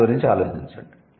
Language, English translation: Telugu, Think about it